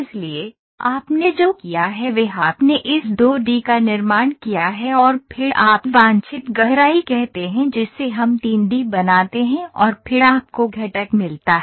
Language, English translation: Hindi, So, what you have done is you have constructed this 2 D and then you say desired depth which we make 3 D and then you get the component